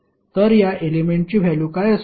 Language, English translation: Marathi, So what would be the value of this element